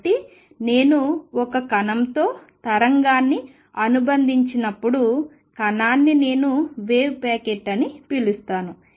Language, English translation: Telugu, So, to conclude when I associate a wave with a particle: the particle, particle is described by what I call a wave packet